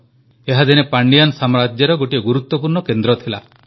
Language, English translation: Odia, Once it was an important centre of the Pandyan Empire